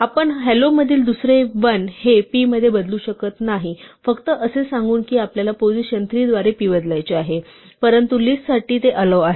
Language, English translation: Marathi, We cannot change the second l in hello to p just by saying that we want position three to be replaced by p, but for a list this is allowed